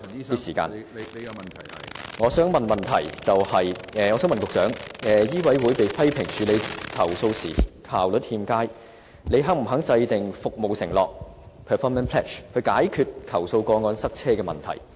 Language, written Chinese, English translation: Cantonese, 我的補充質詢是，醫委會被批評處理投訴效率欠佳，請問局長是否願意制訂服務承諾，以解決投訴個案擁塞的問題？, My supplementary question is given the criticism that MCHK is inefficient in handling complaints is the Secretary willing to set a performance pledge to address the problem of the congestion of complaint cases?